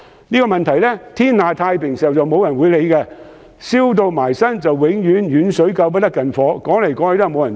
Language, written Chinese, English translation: Cantonese, 這些問題在天下太平時沒人理會，但當"燒到埋身"，總是遠水救不了近火。, No one bothers to deal with these problems the good times and yet no one can give a ready solution when facing the imminent problems